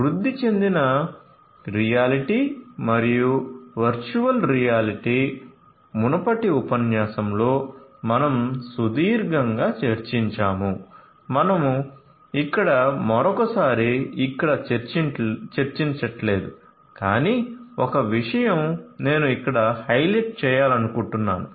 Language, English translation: Telugu, So, augmented reality as well as virtual reality we have discussed in length in a previous lecture we are not going to do that once again over here, but one thing I would like to highlight over here